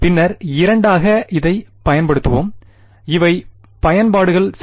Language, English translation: Tamil, And then we will apply it to two these are applications ok